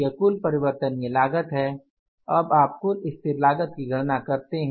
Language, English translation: Hindi, This is the total variable cost and now we will go for the less fixed cost